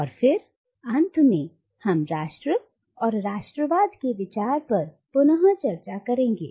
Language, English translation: Hindi, And then finally we will revisit the idea of nation and nationalism